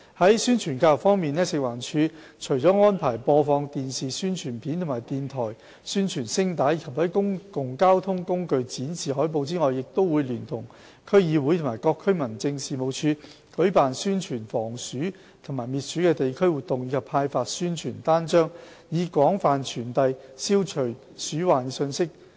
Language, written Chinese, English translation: Cantonese, 在宣傳教育方面，食環署除安排播放電視宣傳片和電台宣傳聲帶，以及在公共交通工具展示海報外，亦會聯同區議會及各區民政事務處舉辦宣傳防鼠及滅鼠的地區活動，以及派發宣傳單張，以廣泛傳遞消除鼠患的信息。, On publicity and education fronts apart from the broadcast of TV and radio Announcements in the Public Interest and display of posters on public transport FEHD will collaborate with District Councils DCs and District Offices DOs of the Home Affairs Department HAD to organize community activities and distribute leaflets on rodent prevention and control to widely disseminate the anti - rodent messages